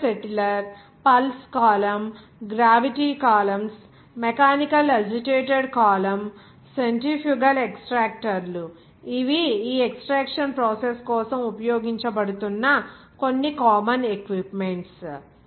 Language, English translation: Telugu, Mixer settler, Pulse column, Gravity columns, Mechanically agitated column, Centrifugal extractors these are some common equipment that is being used for this extraction process